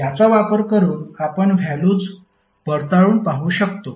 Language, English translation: Marathi, So this you can verify the values